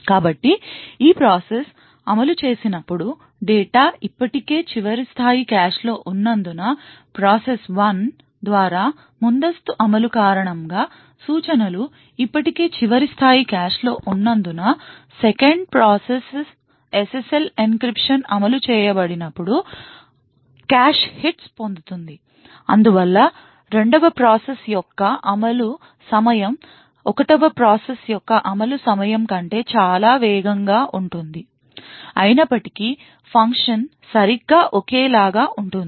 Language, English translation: Telugu, So when this process executes, note that since the data is already present in the last level cache, note that since the instructions are already present in the last level cache due to the prior execution by process 1, the 2nd process would then get a lot of cache hits when SSL encryption is executed, thus the execution time for the 2nd process would be considerably faster than the execution time for the 1st process even though the function is exactly identical